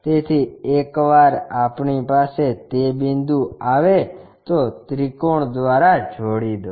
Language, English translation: Gujarati, So, once we have that point connect this by triangle